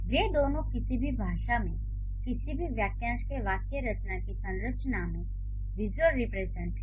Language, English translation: Hindi, Both of them are the visual representations of the syntactic structure of any given phrase in any of the languages